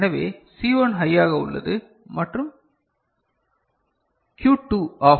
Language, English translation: Tamil, So, C1 is high and Q2 is OFF